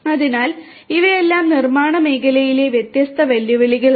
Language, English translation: Malayalam, So, all of these are different challenges in the manufacturing sector